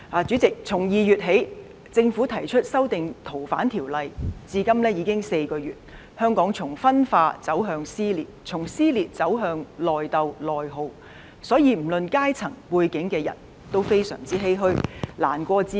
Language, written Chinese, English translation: Cantonese, 主席，從2月起，政府提出修訂《逃犯條例》，至今已經4個月，香港從分化走向撕裂，從撕裂走向內鬥內耗，所有不論階層、背景的人也非常欷歔，難過至極。, President it has been four months since the Government proposed the amendment to the Fugitive Offenders Ordinance in February . Hong Kong has shifted from division to dissension and from dissension to infighting and internal attrition . People from different strata and backgrounds are all greatly saddened and extremely upset